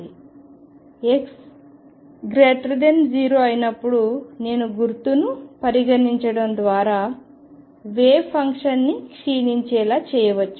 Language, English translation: Telugu, And therefore, this for x greater than 0 by choosing the minus sign I can make the wave function decay